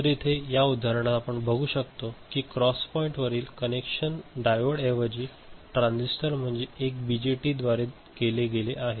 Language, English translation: Marathi, So, here in this example we show that the connection at the cross point is made through transistor, a BJT, instead of diode that is also possible